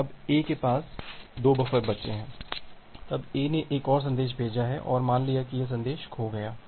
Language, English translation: Hindi, Now A has 2 buffers left, then A has sent another message and assume that this message has lost